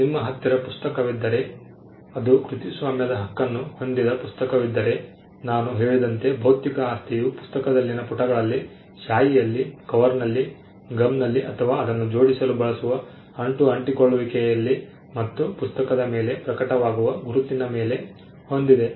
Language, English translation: Kannada, If there is a book which is copyrighted book, the physical property in the book as I said manifests in the pages, in the ink, in the cover, in the gum or the glue adhesive that is used to bind it and in the bookmark of the book has one